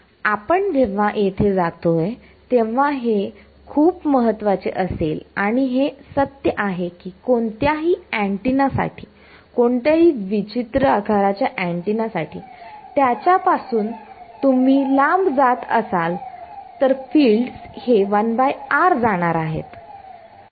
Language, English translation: Marathi, This will be important as we go here and this is true for any antenna any weird shaped antenna go far away from it the fields are going for fall of has 1 by r